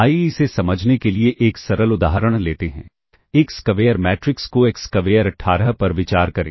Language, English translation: Hindi, Let us take a simple example to understand this consider a square matrix consider, a square matrix A equals 2 6 comma 18